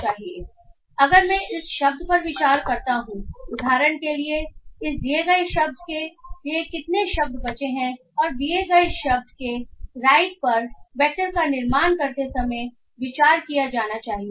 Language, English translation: Hindi, So if I consider the word example, how many words left to the this given word and right to the given word should be considered while forming the vector for this word